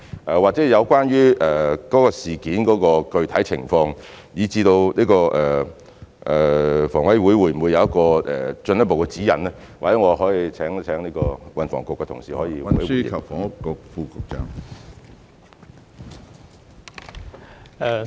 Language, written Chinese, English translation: Cantonese, 有關該宗事件的具體情況，以至房委會會否提供進一步的指引，或許我請運輸及房屋局的同事作補充。, As to the specific circumstances of the incident and whether HKHA will provide further guidance perhaps I will ask my colleague from the Transport and Housing Bureau to provide additional information